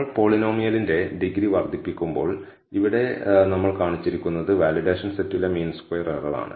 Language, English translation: Malayalam, So, as we increase the degree of the polynomial, here what we have shown is the mean squared error on the validation set